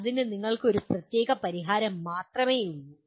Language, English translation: Malayalam, There is only one particular solution you have